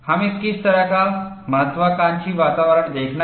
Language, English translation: Hindi, What kind of aggressive environments that we have to look at